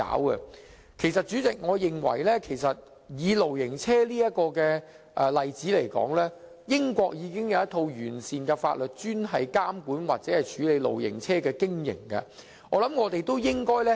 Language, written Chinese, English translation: Cantonese, 代理主席，我認為以露營車這個例子來說，英國已有一套完善法律，專門監管或處理露營車的經營。, Deputy President in the case of caravans I think Britain has enacted comprehensive legislation dedicated to regulating or dealing with caravans operation